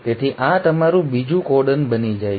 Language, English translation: Gujarati, So this becomes your second codon